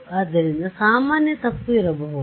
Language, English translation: Kannada, So, a common mistake could be right